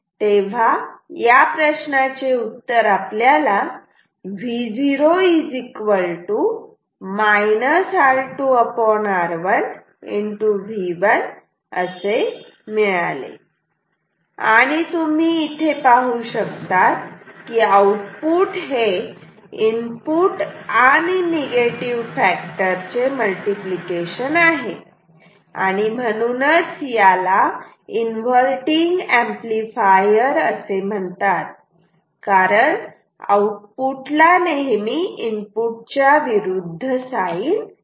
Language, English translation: Marathi, So, the question was what will be the output this is the answer and you see the output is input times a negative factor that is why we call it an inverting amplifier because it the output is always of opposite sign from the input ok